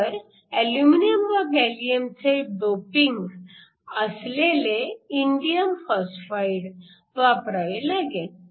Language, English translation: Marathi, So, It is an indium phosphide doped with aluminum and gallium